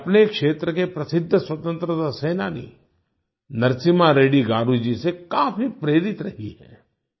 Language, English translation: Hindi, She has been greatly inspired by Narasimha Reddy Garu ji, the famous freedom fighter of her region